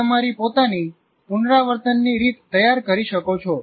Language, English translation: Gujarati, You can design your own rehearsal strategy